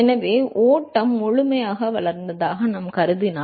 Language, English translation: Tamil, So, if we assume that the flow is fully developed